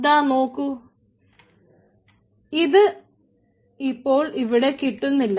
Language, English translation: Malayalam, as you can see, this will be no longer available here